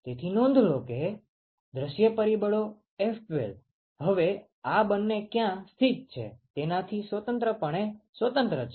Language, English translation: Gujarati, So, note that the view factor F12 is now completely independent of where these two are located